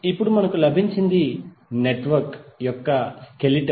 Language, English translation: Telugu, Now what we got is the skeleton of the network